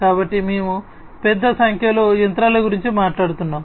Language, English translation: Telugu, So, we are talking about large number of machines